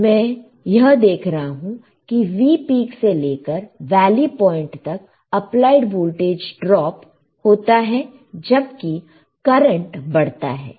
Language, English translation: Hindi, What I see is that from V peak to valley point the applied voltage drops while the current increases